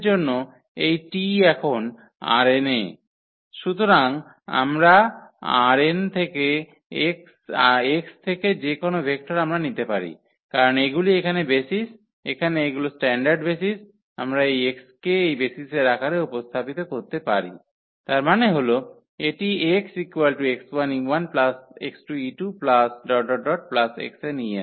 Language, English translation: Bengali, And this T is a for any x now in R n, so any vector we take from this x from R n what we can because these are the basis here these are the standard basis we can represent this x in the form of this basis; that means, this x can be represented as x 1 e 1